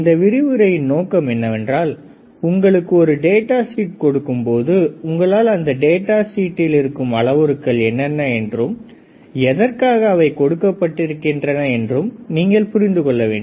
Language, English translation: Tamil, The idea is also that when you are given a data sheet can you open the data sheet and can you see what are the parameters given in the data sheet and can you understand what are the parameters right